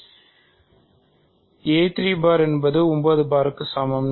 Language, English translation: Tamil, So, a 3 bar is equal to 9 bar